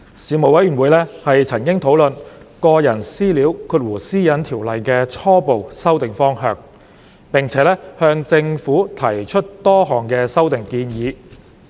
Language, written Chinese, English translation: Cantonese, 事務委員會曾討論《個人資料條例》的初步修訂方向，並且向政府提出多項修訂建議。, The Panel discussed the preliminary direction for amending the Personal Data Privacy Ordinance and raised a number of amendment proposals with the Government